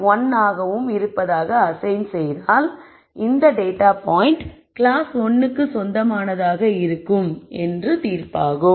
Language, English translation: Tamil, 1 then one would make the judgment that this data point is likely to belong to class 1